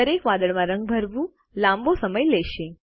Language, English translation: Gujarati, Coloring each cloud will take a long time